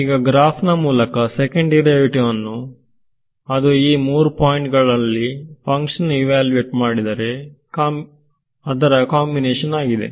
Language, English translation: Kannada, So, graphically what is the second derivative; right, it is a it is the combination of the function evaluation at these three points ok